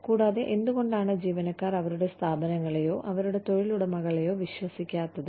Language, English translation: Malayalam, And, why employees do not tend to trust, their organizations, or their employers